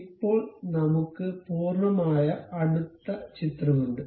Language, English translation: Malayalam, Now, we have a complete close picture